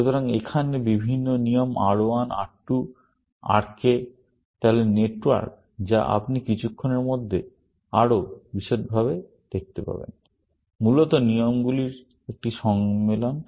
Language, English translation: Bengali, So, here, are the different rules R1, R2, Rk; so, the network, which you will see in a little bit more detailed in a moment, is a compilation of the rules, essentially